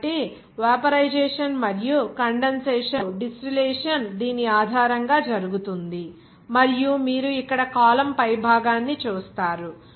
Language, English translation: Telugu, So, based on this vaporization and condensation and distillation is being done and you will see the top of the column here